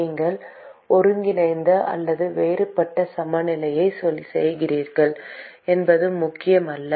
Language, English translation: Tamil, It does not matter whether you do integral or the differential balance